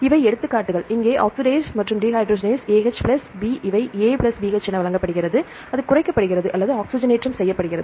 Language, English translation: Tamil, So, these are the examples, oxidase and dehydrogenase here AH plus B are given as A plus BH it is reduced or it is oxidized